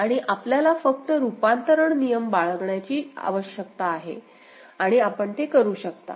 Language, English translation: Marathi, And if you just need to follow the conversion rule and you can do it